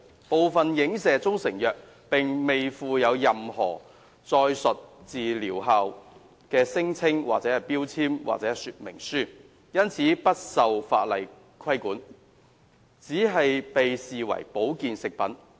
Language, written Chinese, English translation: Cantonese, 部分影射中成藥並未附有任何載述療效聲稱的標籤或說明書，因此不受法例監管，而只被視為保健食品。, As some of these pCms are not attached with labels or package inserts carrying medicinal claims they are not regulated under any legislation but regarded as health food products only